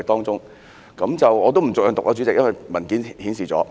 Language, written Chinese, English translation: Cantonese, 主席，我不逐項讀出，因為在文件中已經顯示了。, 94 . Chairman I will not read them out one by one because they are listed in the paper